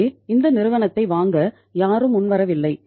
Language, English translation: Tamil, So nobody came forward to buy this company